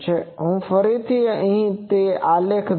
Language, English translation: Gujarati, So, I will just these graphs